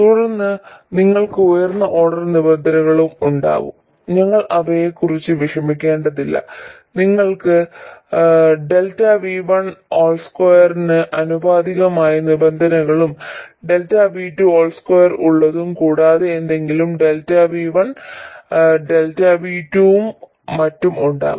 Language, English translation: Malayalam, And then you will have higher order terms, we won't have to worry about them, you will have terms which are proportional to delta v1 square and something with delta v2 square and also something with delta v1, delta v2 and so on